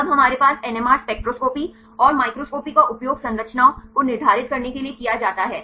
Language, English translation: Hindi, Then we have also NMR spectroscopy and microscopy are used to determine the structures